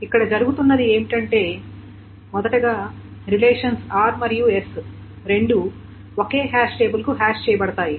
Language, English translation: Telugu, So what is being done is the following is that first of all, both the relations R and S are hashed to the same hash table